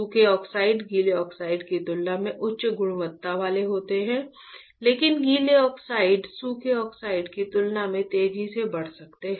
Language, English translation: Hindi, Dry oxide is of higher quality compared to wet oxide, but wet oxide can grow faster compared to dry oxide